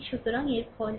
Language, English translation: Bengali, So, what you can do is